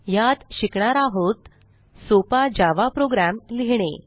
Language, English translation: Marathi, In this tutorial we will learn To create a simple Java program